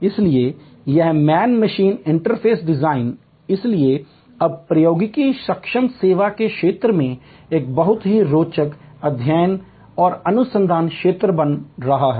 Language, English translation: Hindi, So, this man machine interface design therefore, is now becoming a very interesting a study and research field in the domain of technology enabled service